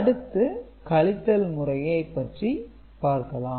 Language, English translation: Tamil, So, we shall look at one subtraction example right